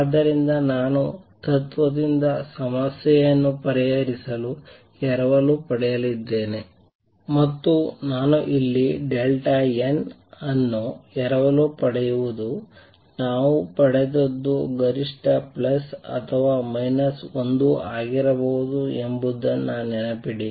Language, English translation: Kannada, So, I am going to borrow to solve the problem from the principle, and what I borrow here is that delta n remember we derive can be maximum plus or minus 1